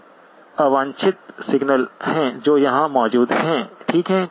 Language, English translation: Hindi, There is some unwanted signal that is present here, okay